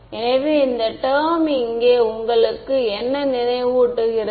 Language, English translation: Tamil, So, this term over here what does it remind you of